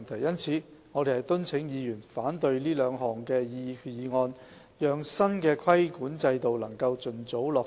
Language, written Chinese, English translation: Cantonese, 因此，我們敦請議員反對這兩項決議案，讓新的規管制度能盡早落實。, In the light of this we urge Honourable Members to oppose these two resolutions so that the new regulatory regime can be implemented as early as possible